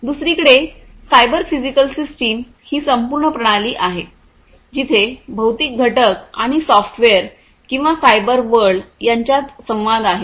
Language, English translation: Marathi, On the other hand, the cyber physical systems these are complete systems where there is an interaction between the physical components and the software or, the cyber world